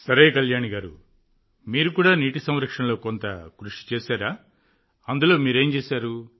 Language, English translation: Telugu, Okay Kalyani ji, have you also done some work in water conservation